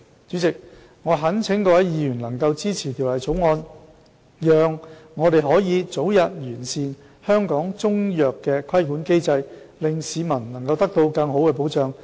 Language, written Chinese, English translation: Cantonese, 主席，我懇請各位議員能支持《條例草案》，讓我們可以早日完善香港中藥的規管機制，令市民能得到更好的保障。, President I implore Members to support the Bill in order for us to improve the regulatory mechanism for Chinese medicine in Hong Kong early to enable the public to be afforded better protection